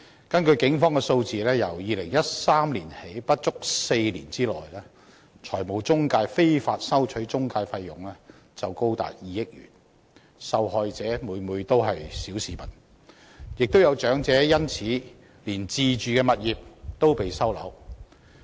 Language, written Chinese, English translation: Cantonese, 根據警方數字，由2013年起不足4年內，中介公司非法收取的中介費用就高達2億元，受害者每每都是小市民，亦有長者因此連自住物業也被收回。, According to the figures provided by the Police in less than four years since 2013 up to 200 million in intermediary fees have been unlawfully collected by intermediaries with all the victims being members of the ordinary masses . Some elderly victims have even seen their owner - occupied properties recovered as a result